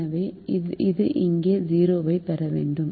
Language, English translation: Tamil, so i will have a zero there